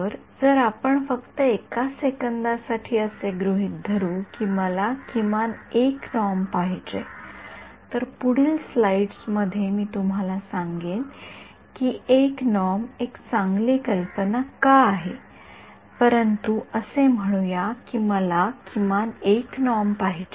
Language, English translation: Marathi, So, if let us say just assume for a second that I want a minimum 1 norm, the next slides I tell you why 1 norm is a good idea, but let us say I wanted minimum 1 norm